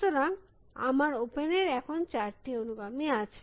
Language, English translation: Bengali, So, my open has go now got four, four successors